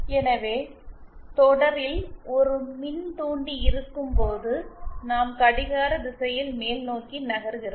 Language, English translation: Tamil, So, when we have an inductor in series, then we move in a clockwise direction upwards